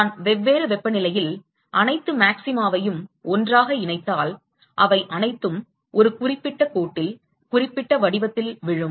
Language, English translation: Tamil, If I join all the maxima together at different temperatures, they all fall into a certain line certain pattern